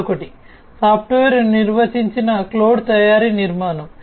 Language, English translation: Telugu, And another one is the software defined cloud manufacturing architecture